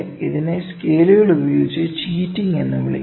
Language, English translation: Malayalam, This is known as cheating with scales